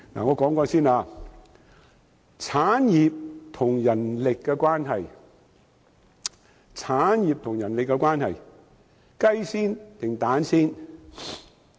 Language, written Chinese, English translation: Cantonese, 我先說產業與人力的關係，究竟先有雞還是先有雞蛋？, First I will talk about the relationship between production and manpower . Which came first the chicken or the egg?